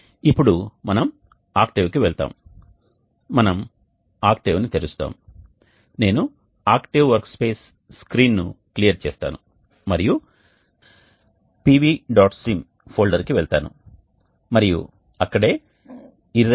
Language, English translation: Telugu, Now next we go to octave we will open octave I will clear up the octave workspace screen and then go to the PVSIM folder and that is where the IRRED